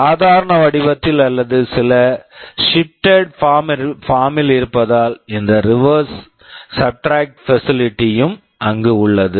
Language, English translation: Tamil, Either in the normal form or in some shifted form that is why this reverse subtract facility is also there